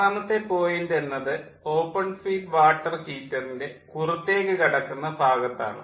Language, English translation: Malayalam, so point six is the point at the exit of the open feed water heater